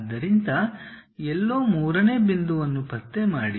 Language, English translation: Kannada, So, somewhere locate third point